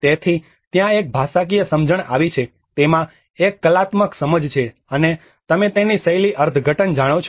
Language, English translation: Gujarati, So, there has been a linguistic understanding, there has been an artistic understanding in it, and you know the style interpretation of it